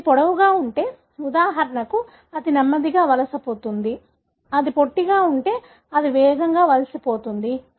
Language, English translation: Telugu, If it is longer, for example, it will migrate slower; if it is shorter it will migrate faster